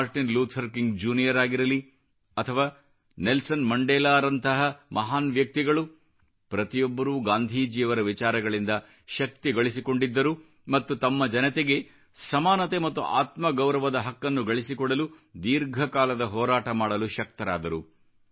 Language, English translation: Kannada, Martin Luther King and Nelson Mandela derived strength from Gandhiji's ideology to be able to fight a long battle to ensure right of equality and dignity for the people